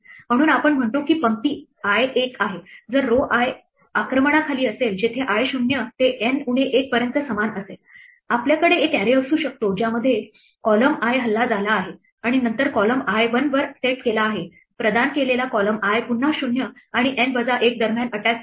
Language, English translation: Marathi, So, we say that row i is 1, if row i is under attack where i ranges from 0 to N minus 1 similarly; we can have a an array which says column i is attacked and then column i is set to 1 provided column i is attacked for again i between 0 and N minus 1